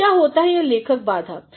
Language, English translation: Hindi, Now, what is this writer blocks